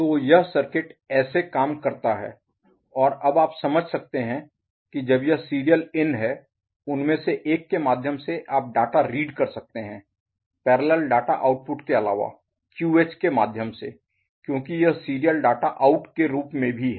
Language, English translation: Hindi, So, this is the way the circuit behaves and now you can understand that, while this is your serial in, through one of them and you can read the data out other than parallel data output through QH also as a serial data out because it is internally connected as a shift register one is feeding the other